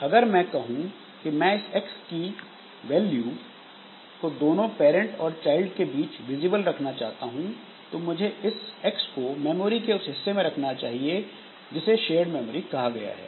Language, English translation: Hindi, Now, if I say, if I want that this X value of X will be visible to both this parent and child, then I should create this x in a region of memory which is called the shared memory